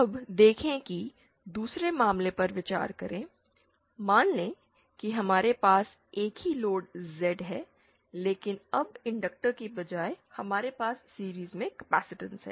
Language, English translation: Hindi, Now see now consider the other case, suppose we have the same load Z but now instead of the inductor, we have a capacitance in series